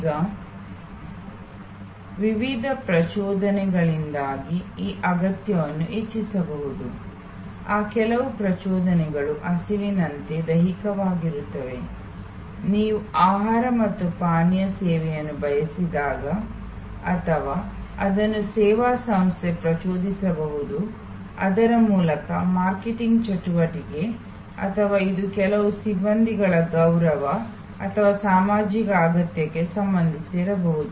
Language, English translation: Kannada, Now, this need can raised due to various triggers, some of those triggers are physical like hunger, when you seek a food and beverage service or it could be triggered by the service organization through it is marketing activity or it could be actually also related to certain personnel esteem or social need